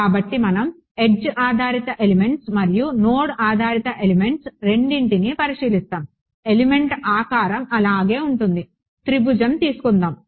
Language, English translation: Telugu, So, edge based elements and we will we will look at both node based and edge based elements, the element shape remains the same so, triangle ok